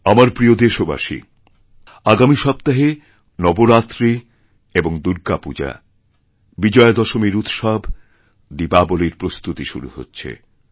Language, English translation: Bengali, My dear countrymen, from next week festive season will be ushered in with Navratri and Durga Puja, Vijayadashmi, preparations for Deepavali and all such activities